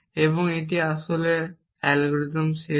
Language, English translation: Bengali, So, what is the algorithm